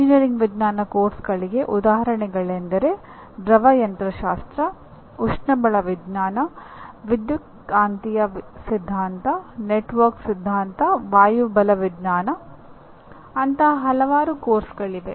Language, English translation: Kannada, Engineering science courses examples Are Fluid Mechanics, Thermodynamics, Electromagnetic Theory, Network Theory, Aerodynamics; you call it there are several such courses